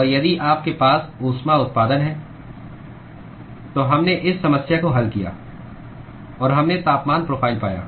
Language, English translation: Hindi, and if you have a heat generation, we solved this problem and we found the temperature profile